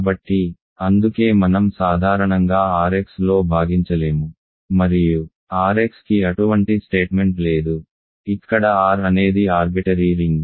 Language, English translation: Telugu, So, that is why we cannot divide in general in R x and we do not have such a statement for R x, where R is an arbitrary ring